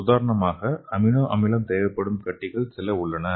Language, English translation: Tamil, For example, there are some of the tumors that are amino acid dependent tumors